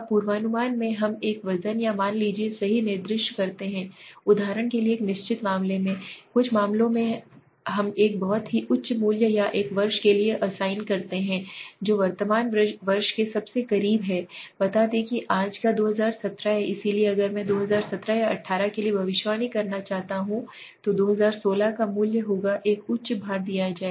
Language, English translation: Hindi, Now in the forecasting we assign a weight or a value right, for example in a case of a in certain, certain cases we assign a very high value or to a to the year which is closest to the present year let say today s 2017 2017 so if I want to predict for 2017 or 2018 then the value for 2016 would be given a higher weightage